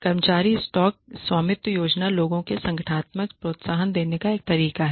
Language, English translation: Hindi, Employee stock ownership plans are another way of giving people organizational incentives